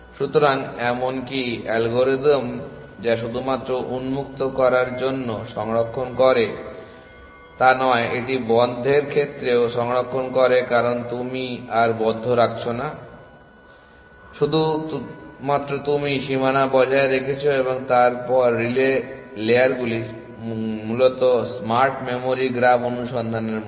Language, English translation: Bengali, So, even algorithm which is not only saves on open it also saves on closed because you are no longer keeping the close you only keeping the boundary and then relay layers essentially exactly like what smart memory graph search would have done